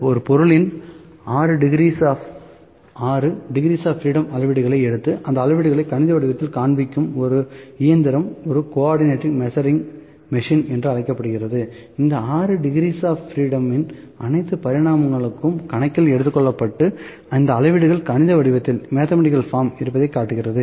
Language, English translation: Tamil, The machine which takes readings in 6 degrees of freedom and displays these readings in mathematical form is known as a co ordinate measuring machine, this 6 degrees of freedom that is all the dimensions are taken into account and displays these reading is in mathematical form